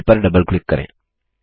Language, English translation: Hindi, Double click on the mail